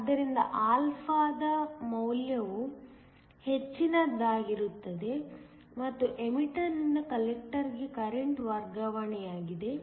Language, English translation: Kannada, So, higher the value of α then greater is the current transfer from the emitter to the collector